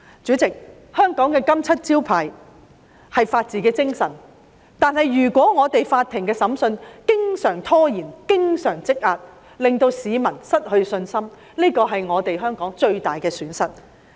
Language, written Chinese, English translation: Cantonese, 主席，香港的"金漆招牌"是法治精神，如果法庭的審訊經常拖延、積壓，令市民失去信心，這是香港最大的損失。, President the rule of law is the golden seal of Hong Kong . If court cases are frequently postponed and accumulated people will lose their faith in the system . This will be the greatest loss to Hong Kong